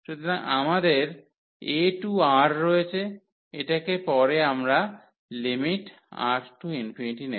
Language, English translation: Bengali, So, we have a to R this later on we will as take the limit R to infinity